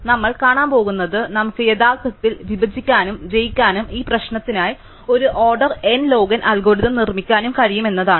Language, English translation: Malayalam, So, what we are going to see is that we can actually use divide and conquer and produce an order n log n algorithm for this problem